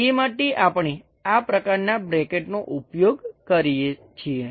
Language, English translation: Gujarati, For that purpose, we use this kind of bracket